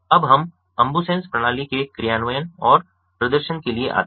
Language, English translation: Hindi, now we come to an implementation and demonstration of the ambusens system